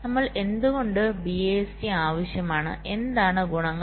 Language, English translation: Malayalam, why do we need bist and what are the advantages